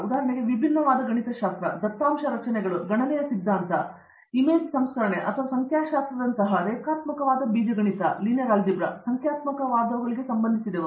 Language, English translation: Kannada, For example, discrete mathematics, data structures, theory of computation, then image processing and anything related to numerical like numerical linear algebra, for example